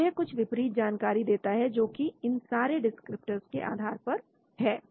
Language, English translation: Hindi, So it creates some composite knowledge based on all the descriptors